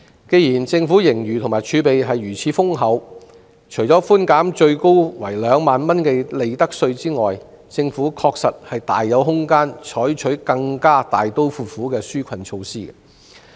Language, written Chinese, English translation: Cantonese, 既然政府盈餘和儲備如此豐厚，那麼除了寬免最高為2萬元的利得稅外，政府確實大有空間採取更加大刀闊斧的紓困措施。, With such hefty surpluses and fiscal reserves the Government is well capable of taking more drastic relief measures other than merely providing a profits tax concession capped at 20,000